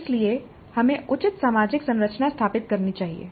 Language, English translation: Hindi, So we must establish proper social structure